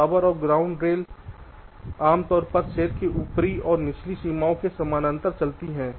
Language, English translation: Hindi, the power and ground rails typically run parallel to upper and lower boundaries of the cells